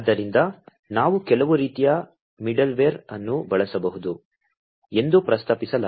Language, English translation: Kannada, So, it is proposed that we could use some sort of a middleware